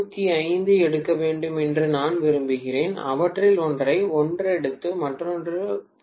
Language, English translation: Tamil, 75 each rather than taking one of them taking 1, the other one taking 0